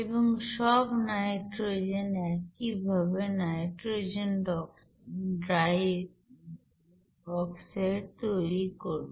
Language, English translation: Bengali, And all the nitrogen similarly, will forms nitrogen dioxide